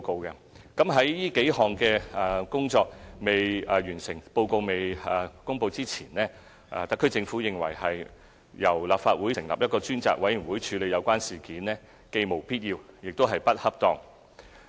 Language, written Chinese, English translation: Cantonese, 在這數項工作未完成、報告未公布前，特區政府認為由立法會成立一個專責委員會處理有關事件，既無必要，亦不恰當。, Before the completion of these tasks and the release of reports the SAR Government considers it unnecessary and inappropriate for the Legislative Council to set up a select committee to handle the incident